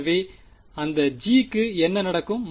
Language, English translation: Tamil, So, what will happened to that g